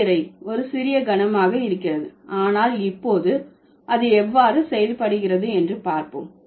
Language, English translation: Tamil, So, the definition sounds to be a little heavy but then now let's see how it works